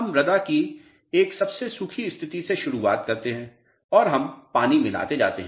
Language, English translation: Hindi, We start from a driest possible state of the soil and we keep on adding water